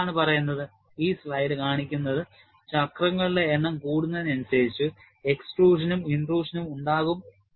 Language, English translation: Malayalam, And what this say is, this slide shows is, as the number of cycles increases, you will have extrusion and intrusion form, that is what it says